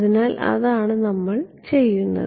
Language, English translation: Malayalam, So, that is what we will do